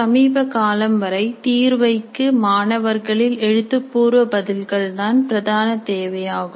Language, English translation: Tamil, Assessment until recently required dominantly written responses from the students